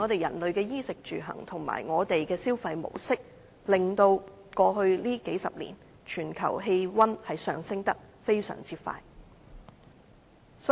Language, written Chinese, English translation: Cantonese, 人類在衣食住行的習慣，以及我們的消費模式，令全球氣溫在過去數十年上升得非常快。, The habits of human beings in daily life as well as our mode of consumption have driven up global temperature at an extremely rapid pace